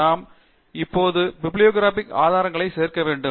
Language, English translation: Tamil, We now need to add the bibliographic resources in this